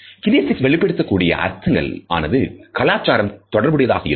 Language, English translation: Tamil, Kinesics conveys specific meanings that are open to cultural interpretation